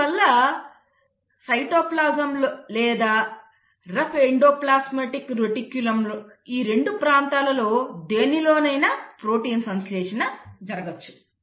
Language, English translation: Telugu, So you can have protein synthesis in either of these 2 areas, either in the cytoplasm or in the rough endoplasmic reticulum